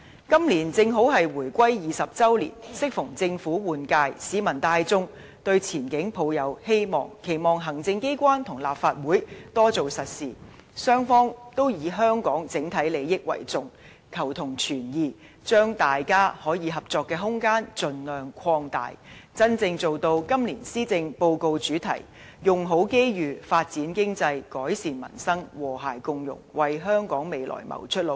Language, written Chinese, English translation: Cantonese, 今年正好是回歸20周年，適逢政府換屆，市民大眾都對前景抱有希望，期望行政機關和立法會多做實事，雙方以香港整體利益為重，求同存異，將大家可以合作的空間盡量擴大，真正做到今年施政報告的主題"用好機遇發展經濟改善民生和諧共融"，為香港未來謀出路。, This year happens to be the 20 anniversary of our reunification and it coincides with government changeover . The broad masses invariably cherish expectations for the way forward hoping that the executive and the Legislative Council can make concrete efforts to seek common ground and accommodate differences based on Hong Kongs overall interests and expand the room for mutual cooperation as much as possible with a view to truly realizing the theme of the Policy Address this year―Make Best Use of Opportunities Develop the Economy Improve Peoples Livelihood Build an Inclusive Society―and in turn finding a way out for the future of Hong Kong